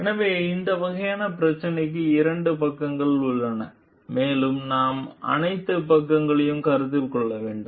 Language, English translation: Tamil, So, this type of every problem has two sides of it and we need to consider all the sides